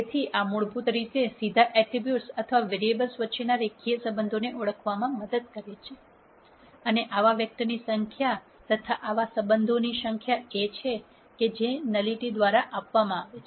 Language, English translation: Gujarati, So, this basically helps in identifying the linear relationships between the attributes or the variables directly and the number of such vectors or number of such relationships is what is given by the nullity